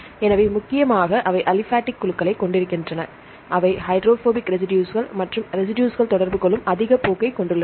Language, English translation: Tamil, So, mainly they contain the aliphatic groups, they are hydrophobic residues and the residues which have a high tendency to interact